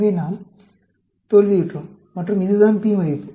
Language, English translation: Tamil, So, we failed and this is the p value